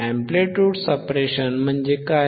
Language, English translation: Marathi, What is amplitude suppression